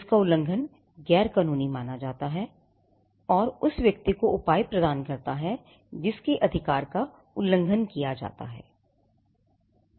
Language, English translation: Hindi, The violation of which is deemed as unlawful, and the violation of which leaves the person whose right is violated with a remedy